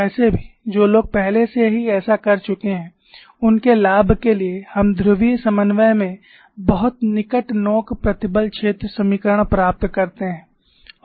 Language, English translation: Hindi, Anyway, for the benefit of those who have already did this, we get the very near tip stress field equations in polar co ordinates